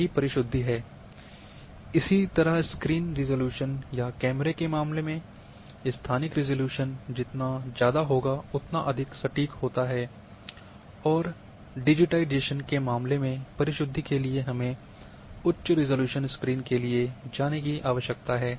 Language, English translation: Hindi, This is what precision is, similarly in case of screen resolutions or camera resolutions higher the spatial resolution more the precision you are having, and in case of digitization,we need to go for higher resolution screens to reach to that precision